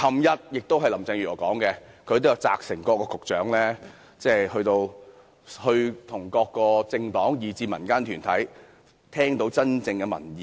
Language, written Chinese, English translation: Cantonese, 昨天，林鄭月娥表示，她會責成各局長與各政黨及民間團體溝通，聽取真正的民意。, Yesterday Carrie LAM said that she would instruct the Secretaries of Departments and Directors of Bureaux to communicate with peoples organizations to listen to genuine public views